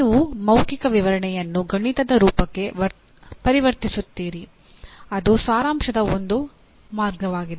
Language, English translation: Kannada, You convert let us say verbal description into a mathematical form, that is abstract form, that is one way of summarization